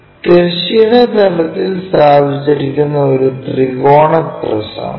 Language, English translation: Malayalam, A triangular prism placed on horizontal plane